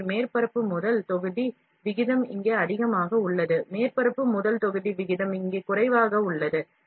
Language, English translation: Tamil, So, the surface to volume ratio is high here, surface to volume ratio is low here